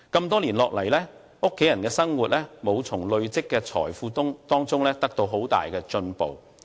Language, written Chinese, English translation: Cantonese, 多年下來，家人的生活未能從累積的財富中得到很大的改善。, There is little improvement on the quality of life of this family over the years